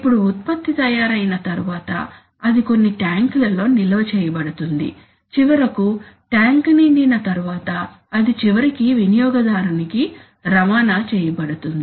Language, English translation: Telugu, Now after the product is produced it is going to be stored in some tanks, so, and then finally after the tank gets filled up it is going to be transported to the customer eventually